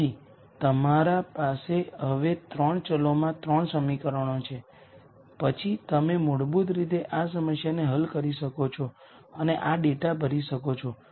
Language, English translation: Gujarati, So, you have now 3 equations in 3 variables then you can basically solve this problem and fill in this data